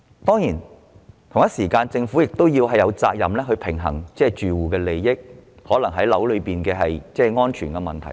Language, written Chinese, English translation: Cantonese, 當然，政府亦同時有責任平衡住戶的利益及樓宇安全等問題。, Of course the Government is likewise duty - bound to strike a balance between various issues such as occupants interests and also building safety